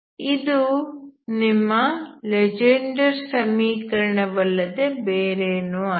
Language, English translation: Kannada, So this is nothing but your Legendre equation